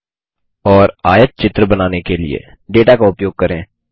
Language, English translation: Hindi, and Use the data to construct a histogram